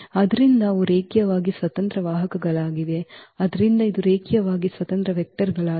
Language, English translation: Kannada, So, they are linearly independent vectors so, these are linearly independent vectors